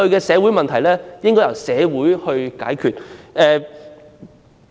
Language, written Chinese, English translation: Cantonese, 社會問題應該由社會解決。, Social problems should be resolved by the community